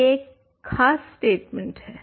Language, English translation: Hindi, So, this is an important statement